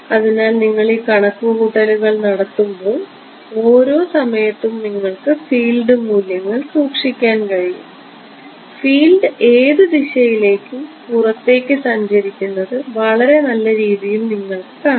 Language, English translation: Malayalam, So, actually when you do these calculations you can store the field values at every time snap you can see very beautifully field is travelling outwards in whatever direction